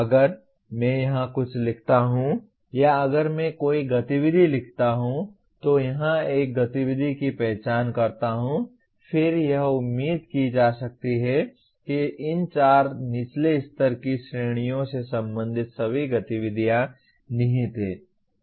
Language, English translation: Hindi, If I write something here or if I write an activity, identify an activity here; then it can be expected all the activities related to these four lower level categories are implied